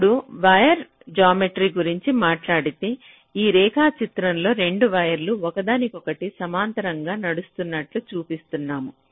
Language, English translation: Telugu, so we refer to the diagram here where we show two wires running parallel to each other